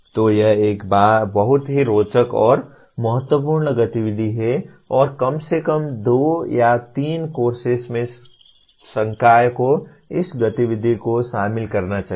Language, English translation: Hindi, So this is a very interesting and important activity and at least in 2 or 3 courses the faculty should incorporate this activity